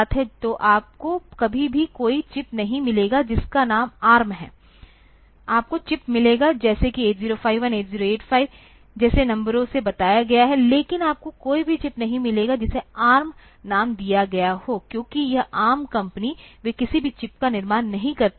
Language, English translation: Hindi, So, you will never find any chip whose name is ARM, you will find chips like say 8051, 8085 numbered like that, but you will not find any chip which is named as ARM, because this ARM company, they do not manufacture any chip